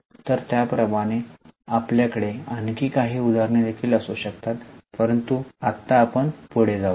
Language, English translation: Marathi, So, like that we can have some more examples also but right now let us go ahead